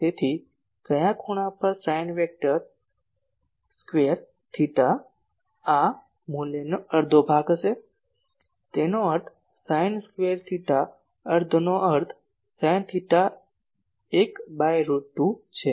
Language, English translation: Gujarati, So, at which angle sin square theta will be half of this value ; that means, sin square theta , half means sin theta 1 by root 2